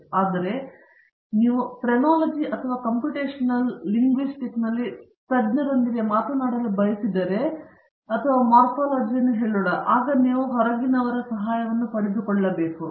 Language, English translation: Kannada, But, if you want to talk to a specialist in Phrenology or Computational Linguistics or letÕs say Morphology, then you have to seek help from outside